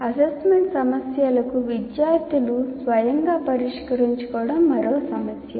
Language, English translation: Telugu, And getting the students to solve assignment problems on their own